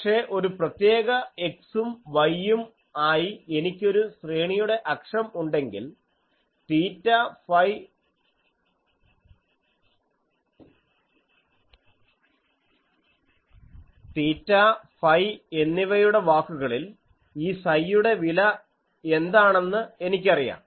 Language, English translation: Malayalam, But, if I have the array axis as a particular x and y, then I know that what is the value of this psi in terms of theta phi